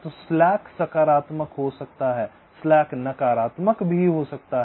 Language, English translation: Hindi, so slack can be positive, slack can be negative